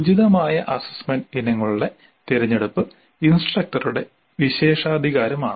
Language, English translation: Malayalam, The selection of appropriate assessment items is the prerogative of the instructor